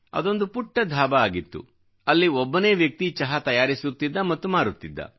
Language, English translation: Kannada, It was a tiny joint; there was only one person who would make & serve tea